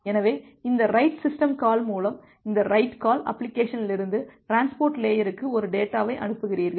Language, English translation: Tamil, So, this write call with this write system call you’re sending a chunk of data from the application to the transport layer